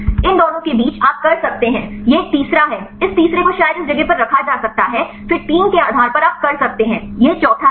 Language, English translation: Hindi, Between these two you can this is a third one, this third one could be probably lay on this place then based on the 3 you can this is the fourth one